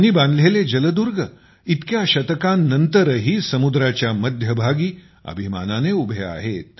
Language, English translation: Marathi, The Seaforts built by him still stand proudly in the middle of the sea even after so many centuries